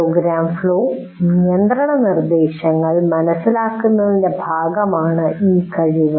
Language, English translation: Malayalam, This competency is part of understand program flow control instructions